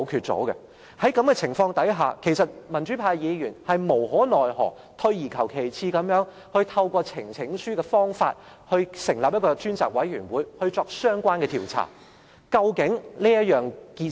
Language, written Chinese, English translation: Cantonese, 在這種情況下，民主派議員無可奈何，退而求其次地透過呈請書的方法，成立一個專責委員會進行相關調查。, Under this circumstance Members from the pro - democracy camp cannot but resort to the second - best option that is to seek the establishment of a select committee through the presentation of a petition for the purpose of conducting a relevant investigation